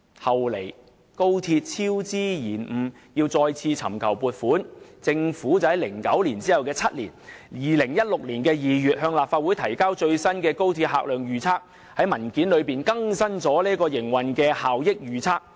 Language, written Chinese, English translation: Cantonese, 後來，高鐵超支延誤要再次尋求撥款，政府便在2009年的7年後，即2016年2月向立法會提交最新的高鐵客量預測，並在文件中更新營運效益預測。, Subsequently due to cost overruns and work delays of XRL the Government sought funding again and submitted the latest patronage forecast of XRL to this Council in February 2016 that is seven years after 2009 . The operational efficiency forecast had also been revised